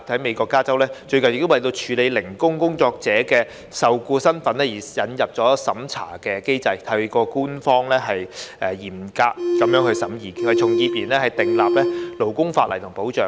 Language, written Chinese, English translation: Cantonese, 美國加州最近亦為處理"零工工作者"的受僱身份而引入審查機制，透過官方嚴格審議，為從業員訂立勞工法例和保障。, A review mechanism was recently introduced in California of the United States to handle issues concerning the employment status of gig workers so that with stringent government vetting labour legislation and employee protection can be enacted and provided for such workers